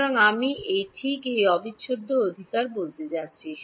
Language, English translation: Bengali, So, I am going to call this just this integral right